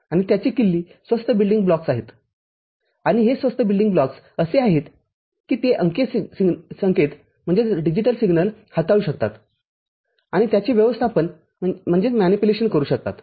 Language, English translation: Marathi, And the key to it is inexpensive building blocks and these inexpensive building blocks are such that they it can handle digital signals and can manipulate